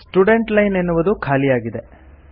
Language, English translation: Kannada, The Student Line has become red